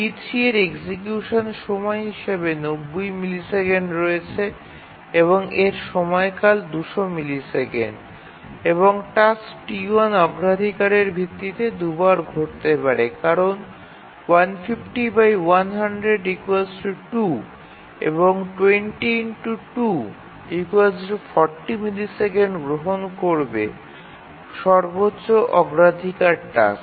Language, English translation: Bengali, T3 requires 90 millisecond execution time and its period is 200 and the task, T1, the highest priority task can occur twice because 200 by 100 ceiling is equal to 2